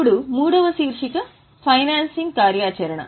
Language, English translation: Telugu, Now, the third heading is financing activity